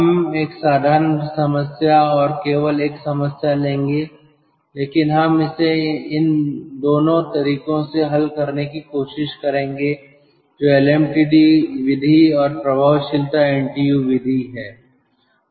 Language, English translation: Hindi, but we will try to solve it by both the methods, that is, lmtd method and effectiveness ntu method